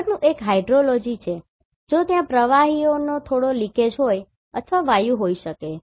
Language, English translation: Gujarati, The next one is hydrology if there is a slight leakage of liquid or may be gases